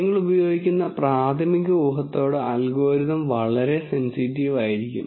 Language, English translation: Malayalam, The algorithm can be quite sensitive to the initial guess that you use